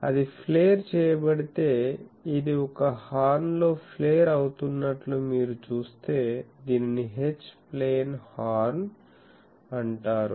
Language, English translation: Telugu, So, if that gets paired so, if you see that this one is getting flared in a horn, this is called H plane Horn